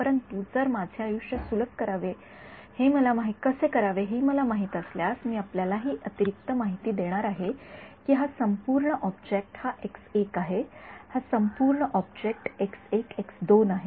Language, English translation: Marathi, But if I know how to make my life easier I am going to give you this additional info that this entire object is this x 1 this entire object is x 1 x 2